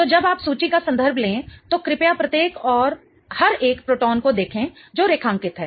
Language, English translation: Hindi, So, when you refer to the table, please look at each and every proton that is underlined